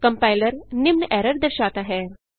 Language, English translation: Hindi, Compiler cannnot find these errors